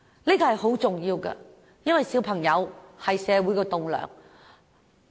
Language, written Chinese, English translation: Cantonese, 這是十分重要的，因為小孩是社會的棟樑。, It is very important because children are pillars of society